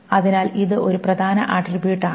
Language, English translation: Malayalam, So it is a prime attribute